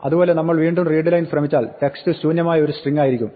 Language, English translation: Malayalam, Similarly, if we try to say readline again text will be empty string